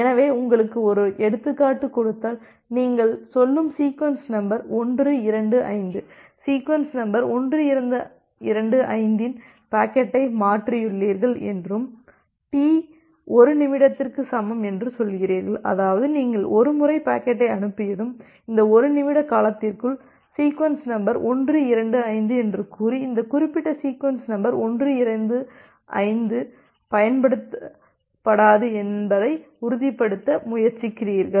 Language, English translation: Tamil, So, just giving you an one example say you have transferred the packet of say sequence number 1 2 5, sequence number 125 and you say T equal to 1 minute; that means, you are trying to ensure that once you have transmitted packet, with say sequence number 125 within this 1 minute duration, this particular sequence number 125 is not going to be reused